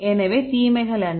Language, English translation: Tamil, So, what are the disadvantages